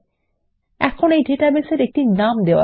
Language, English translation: Bengali, Now, lets name our database